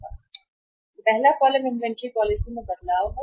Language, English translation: Hindi, First column is change in inventory policy, change in inventory policy